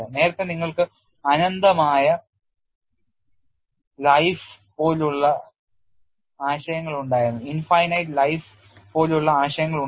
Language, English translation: Malayalam, See, earlier you had concepts like infinite life